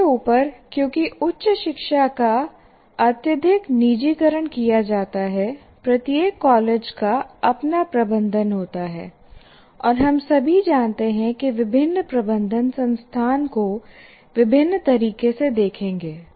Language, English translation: Hindi, On top of that, because the education is highly privatized, that means each college has its own management and we all know different management will look at the institution in a different way